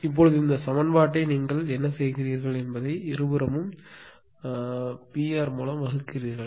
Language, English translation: Tamil, Now what do you do this equation both side you divide by P R right both side P r